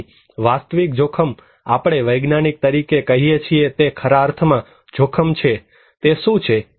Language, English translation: Gujarati, So, actual risk we as scientists saying that we there is actually an actual risk, what is that